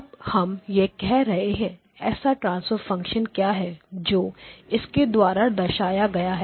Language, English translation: Hindi, So, now we are saying that so what is the transfer function that is represented by this